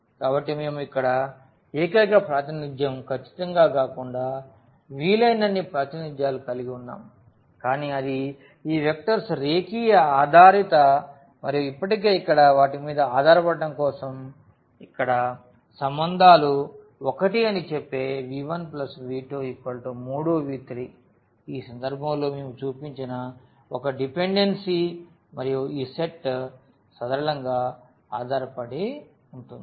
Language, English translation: Telugu, So, this is definitely not a unique representation we can have as many representations as possible here, but what it says that these vectors are linearly dependent and one of the relations here for their dependencies already here v 1 plus v 2 is equal to the 3 times v 3 that is 1 dependency we have shown in this case and this set is linearly dependent